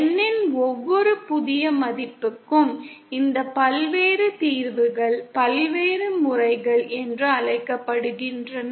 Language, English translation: Tamil, And these various solutions for every new values of N are called the various modes